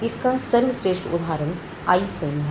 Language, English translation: Hindi, The best example is the iPhone